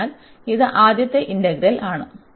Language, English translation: Malayalam, So, this is the first integral the inner one